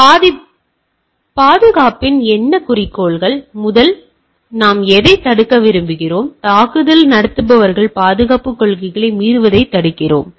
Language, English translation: Tamil, Now, well what goal of security, what we do we want first of all we want to prevent, right prevent attackers from violating security policies